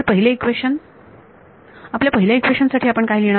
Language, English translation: Marathi, So, the first equation what we write for our first equation